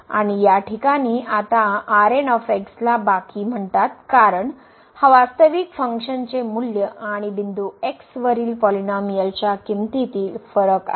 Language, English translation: Marathi, And in this case now the is called the remainder, because this is the difference between the actual value of the function minus the polynomial value at the point